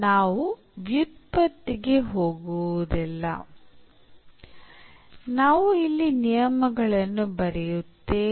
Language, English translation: Kannada, So, we will not go for the derivation, we will just write down the rules here